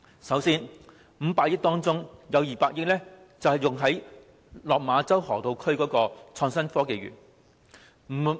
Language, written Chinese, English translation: Cantonese, 首先，在500億元撥款中，有200億元是用於落馬洲河套區的港深創新及科技園。, Firstly of the provision of 50 billion 20 billion will be spent on the Hong Kong - Shenzhen Innovation and Technology Park the Park in the Lok Ma Chau Loop the Loop